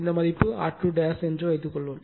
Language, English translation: Tamil, And suppose this value is R 2 dash, right